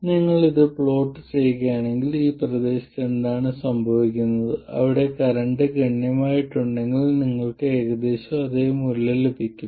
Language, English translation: Malayalam, Now if you do plot this, what happens is in this region where the current is substantial, you will get approximately the same value